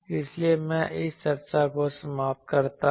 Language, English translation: Hindi, , So, with this, I end this discussion